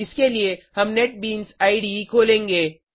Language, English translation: Hindi, For this we will switch to Netbeans IDE